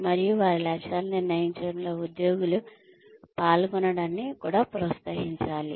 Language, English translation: Telugu, And, one should also encourage participation, from the employees in deciding their goals